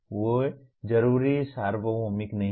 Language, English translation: Hindi, They are not necessarily universal